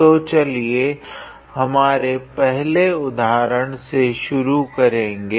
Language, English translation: Hindi, So, let me start with our first example